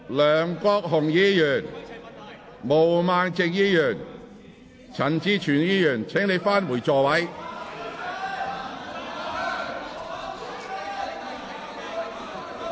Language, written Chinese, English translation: Cantonese, 梁國雄議員、毛孟靜議員、陳志全議員，請返回座位。, Mr LEUNG Kwok - hung Ms Claudia MO Mr CHAN Chi - chuen please return to your seats